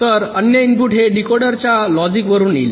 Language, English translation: Marathi, the other input will be coming from the logic inside the decoder